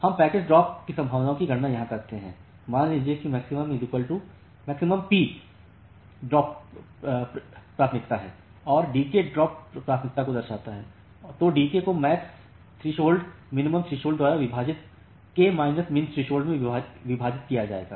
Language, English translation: Hindi, So, we calculate the packet drop probability here say assume that Max p is the maximum packet drop probability and d k denotes the drop probability, then d k will be Max p into k minus MinThresh divided by MaxThresh minus MinThresh